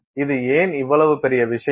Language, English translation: Tamil, Why is this such a big deal